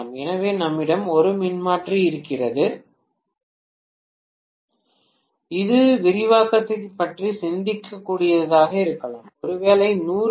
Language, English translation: Tamil, So maybe we had a transformer which is amounting to even thinking about expansion, maybe 100 kVA transformer was installed